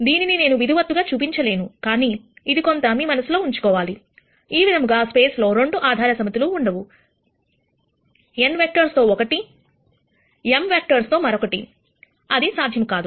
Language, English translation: Telugu, I am not going to formally show this, but this is something that you should keep in mind, in other words for the same space you cannot have 2 basis sets one with n, vectors other one with m vectors that is not possible